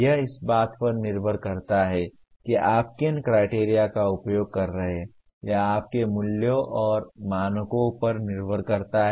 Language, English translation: Hindi, That depends on what criteria you are using depends on your values and standards